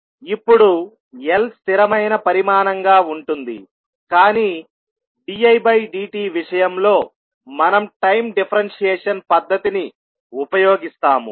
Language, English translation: Telugu, Now, l will remain same being a constant quantity, but in case of dI by dt we will use time differentiation technique